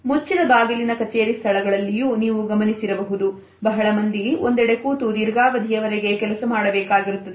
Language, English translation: Kannada, You might have also noticed that in close offices spaces also, where a good number of people have to sit and work for long hours